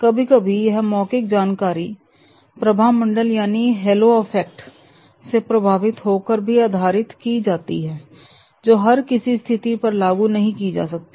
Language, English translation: Hindi, Sometimes these are verbal information are based on hello effect which may not be applicable to the all the situations